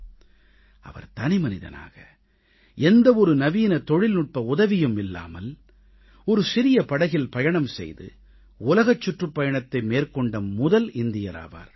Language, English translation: Tamil, He was the first Indian who set on a global voyage in a small boat without any modern technology